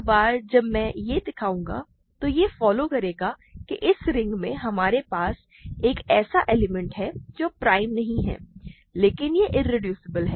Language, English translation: Hindi, Once I show this, it will follow that in this ring we have an element which is not prime, but it is irreducible